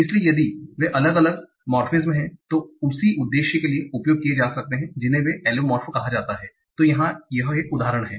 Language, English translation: Hindi, So if they are different morphemes that can be used for the same purpose, they are called allomorphs